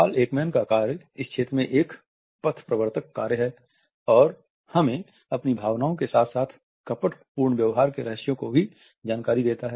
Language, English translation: Hindi, Paul Ekman's work is a path breaking work and it gives us insights into line emotional leakages of our emotions and also to the clues to deceitful behavior